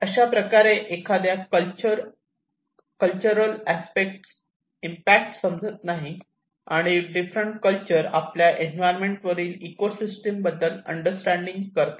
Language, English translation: Marathi, That is how it has an impact of one do not understand the cultural aspects and how different cultures understand their ecosystems on the environment